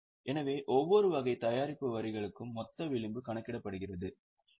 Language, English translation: Tamil, So, for each type of product line, a gross margin is calculated, which is 46